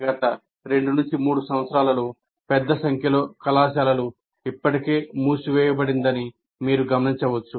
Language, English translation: Telugu, As you would have noticed that in the last two, three years, large number of colleges got already closed